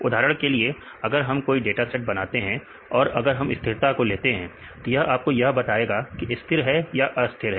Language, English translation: Hindi, For example, if we make a dataset; if we take the stability, this will tell you this stabilizing or destabilizing